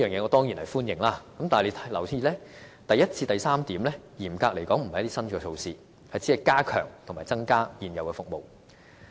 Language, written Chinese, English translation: Cantonese, 我當然歡迎上述的措施，但大家要留意，第一至第三點嚴格來說不是新的措施，而是加強及增加現有服務。, Of course I welcome the above measures yet Members have to be reminded that strictly speaking items a to c are not new . These are enhancements to existing services